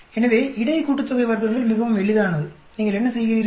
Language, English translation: Tamil, So, between sum of squares is very simple, what do you do